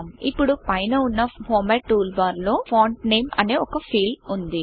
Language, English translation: Telugu, Now in the format tool bar at the top, we have a field, named Font Name